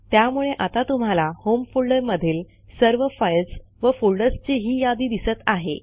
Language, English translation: Marathi, So here it is displaying files and folders from home folder